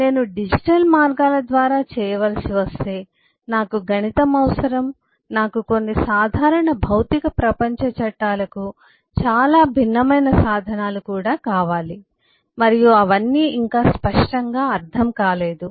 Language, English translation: Telugu, but if I have to do it through digital means, I need a mathematics, I need tools which are very different from the some ordinary physical world laws and not all of those yet are very clearly understood